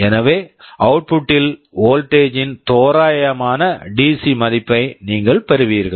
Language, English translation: Tamil, So, you will be getting approximately the DC value of the voltage in the output